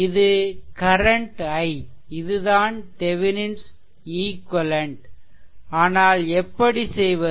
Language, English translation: Tamil, So, this is that Thevenin equivalent circuit, but how to do it